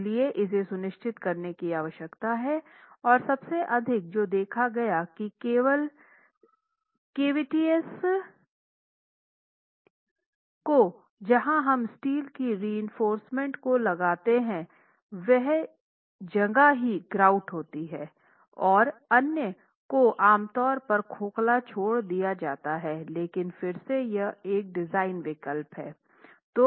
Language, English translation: Hindi, So, this again needs to be ensured and most often what would happen is only the cavities where you place steel reinforcement, it's grouted and the others are typically left hollow but then that's again a design choice